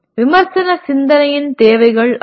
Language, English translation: Tamil, That is requirements of critical thinking